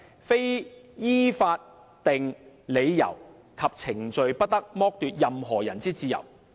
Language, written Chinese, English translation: Cantonese, 非依法定理由及程序，不得剝奪任何人之自由。, No one shall be deprived of his liberty except on such grounds and in accordance with such procedure as are established by law